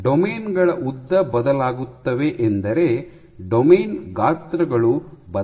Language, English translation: Kannada, Lengths of domains varying means the domain sizes are varying